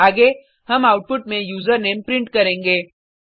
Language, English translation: Hindi, Next, we will print the User Name in the output